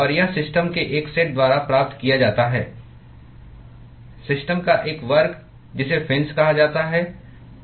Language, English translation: Hindi, And that is achieved by a set of systems one class of system called the fins